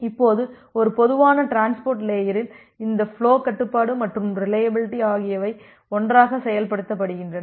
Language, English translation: Tamil, Now, in a typical transport layer this flow control and reliability are implemented together